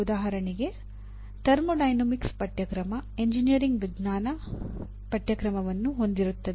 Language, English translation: Kannada, Like for example a course on thermodynamics I would consider it constitutes a engineering science course